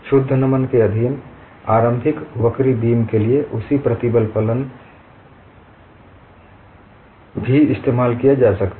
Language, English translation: Hindi, The same stress function could also be used for initially curved beam in pure bending